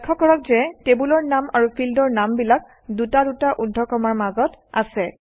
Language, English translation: Assamese, Notice that the table name and field names are enclosed in double quotes